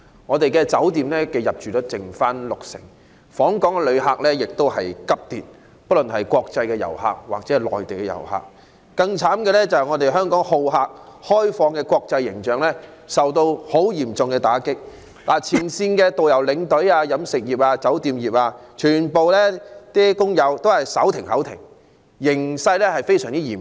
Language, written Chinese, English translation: Cantonese, 我們的酒店入住率只剩六成，訪港旅客——不論是國際遊客或內地遊客——亦急跌，更悽慘的是，香港好客及開放的國際形象受到極嚴重打擊，前線導遊、領隊、飲食及酒店業全部工友均手停口停，形勢非常嚴峻。, The occupancy rate of our hotels only stands at 60 % and there is a drastic drop in the number of visitor arrivals either from overseas or from the Mainland . What is worse internationally Hong Kongs image as a hospitable and open city has suffered a severe blow . Frontline tour guides tour escorts and all employees in the catering and hotel industries have found themselves in severe hardship being unable to make a living